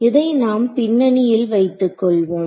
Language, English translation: Tamil, So, we will just keep this in the background ok